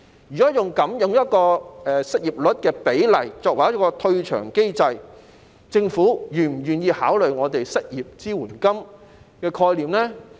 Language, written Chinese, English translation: Cantonese, 如果以失業率數字作為退場機制，政府是否願意考慮我們提出的失業支援金的概念呢？, If there would be a withdrawal mechanism for the scheme based on the unemployment rate is the Government willing to give consideration to our idea of unemployment support?